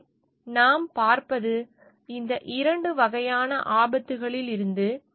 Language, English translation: Tamil, So, what we see, like in out of these two type of hazards